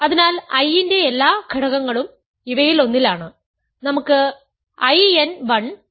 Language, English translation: Malayalam, So, every element of I is in one of these let us say I n 1